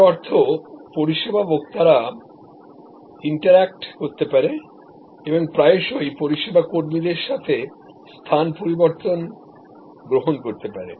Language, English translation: Bengali, That means, service consumers can interact and can often actually alternate places with the service employees